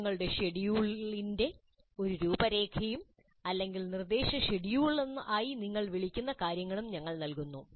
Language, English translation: Malayalam, We also provide an outline of the lesson schedule or what you may call as instruction schedule